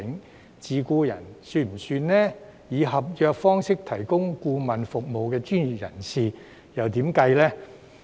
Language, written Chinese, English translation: Cantonese, 是否包括自僱人士或以合約方式提供顧問服務的專業人士呢？, Are self - employed persons or professionals providing consultancy services on a contract basis included?